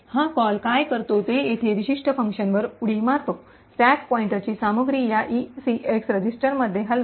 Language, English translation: Marathi, What this call does is that it jumps to this particular function over here, move the contents of the stack pointer into this ECX register